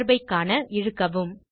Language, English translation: Tamil, Drag to see the relationship